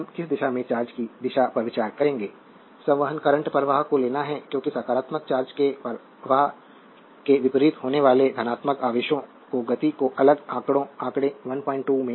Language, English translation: Hindi, Now, which direction of the charge we will consider the direction of the current, convention is to take the current flow as the movement of the positive charges that is opposite to the flow of negative charge is as shown in next figure 1